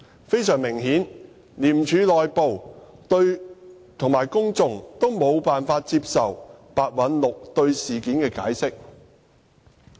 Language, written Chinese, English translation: Cantonese, 非常明顯，廉署內部及公眾都無法接受白韞六對事件的解釋。, Obviously staff inside ICAC and members of the public find the account of the incident by Simon PEH unacceptable